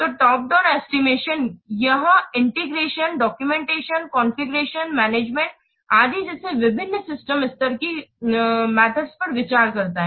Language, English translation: Hindi, So, top down estimation, it considers the various system level activities such as integration, documentation, configuration, etc